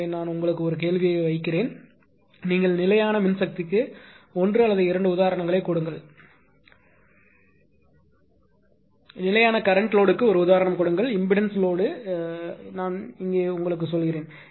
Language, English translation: Tamil, So, I will I will put a question to you and you will write to email give one or two examples of constant power load, give one at least one example of constant current load and give one example of constant impedance load of course, constant impedance load I will tell you here right